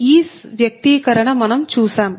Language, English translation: Telugu, that we have seen